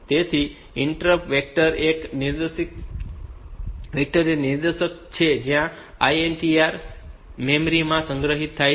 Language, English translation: Gujarati, So, an interrupt vector is a pointer to where the ISR is stored in the memory